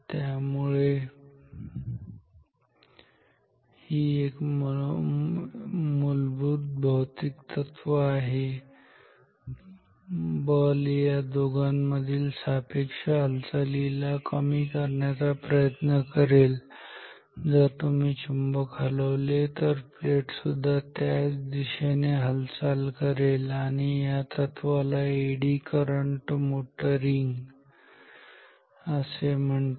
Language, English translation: Marathi, So, this is the fundamental physical phenomena, the force tries to eliminate the relative motion between these two; if you move the magnet the plate will also move in the same direction this phenomena is called Eddy current motoring